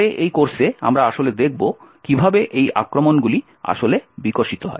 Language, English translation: Bengali, Later on, in this course we will be actually looking how these attacks are actually developed